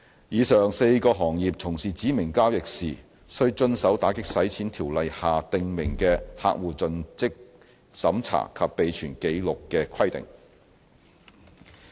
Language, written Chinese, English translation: Cantonese, 以上4個行業從事指明交易時，須遵守《條例》下訂明的客戶作盡職審查及備存紀錄的規定。, The aforesaid four sectors shall abide by the customer due diligence and record - keeping requirements as stipulated under the Ordinance